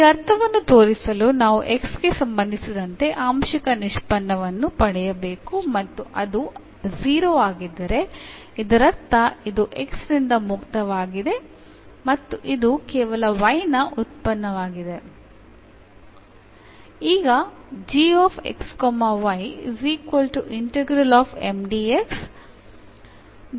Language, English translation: Kannada, So, to show this meaning we have to just get the partial derivative with respect to x and if it comes to be 0 that means, this is free from x and it is a function of y alone